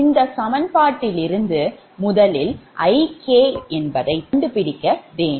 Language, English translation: Tamil, from this equation what you have to do is you have to find first that expression of i k